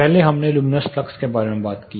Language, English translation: Hindi, First we talked about luminous flux